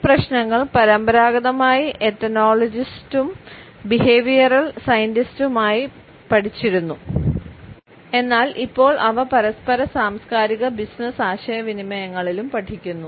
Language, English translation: Malayalam, These issues were traditionally studied by ethnologist and behavioral scientist, but they are now being taken up in intercultural and business communications also